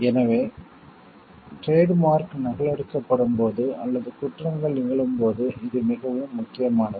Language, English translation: Tamil, So, it is very important like when like trademark its gets copied or offenses are happening